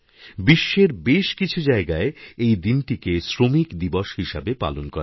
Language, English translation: Bengali, In many parts of the world, it is observed as 'Labour Day'